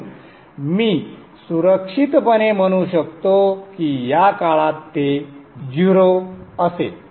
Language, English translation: Marathi, So I can safely say that it will be zero during this time